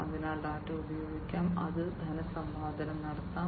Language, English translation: Malayalam, So, data can be used, it can be monetized data can be monetized